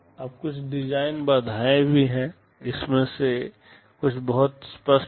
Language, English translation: Hindi, Now, there are some design constraints as well; some of these are pretty obvious